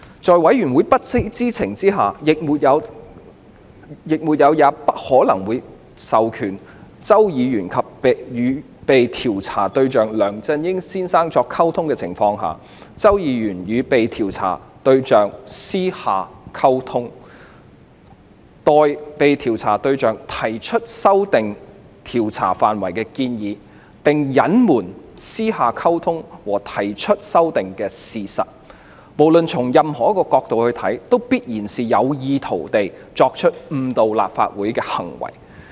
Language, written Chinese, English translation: Cantonese, 在委員會不知情，亦沒有也不可能授權周議員與被調查對象梁先生作出溝通的情況下，周議員與被調查對象作私下溝通，代被調查對象提出修訂調查範圍的建議，並隱瞞曾私下溝通和提出修訂的事實，不論從任何角度來看，均必然屬於有意圖誤導立法會的行為。, The Select Committee knew nothing about the fact that Mr CHOW had communicated with Mr LEUNG the subject of inquiry and it had never or could not have possibly given an authorization for Mr CHOW to do so . Yet Mr CHOW communicated with the subject of inquiry privately submitted on behalf of the subject of inquiry a document with amendments proposed to the scope of investigation and hid the facts about their private communication as well as the editing of the proposed amendments by the subject of inquiry . No matter from what perspective do we view the issue a conclusion will definitely be drawn to suggest that the acts were committed with the intention of misleading the House